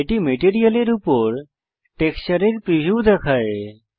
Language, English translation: Bengali, This shows the preview of the texture over the material